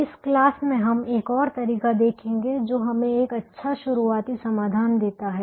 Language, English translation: Hindi, in this class we will see another method that gives us a good starting solution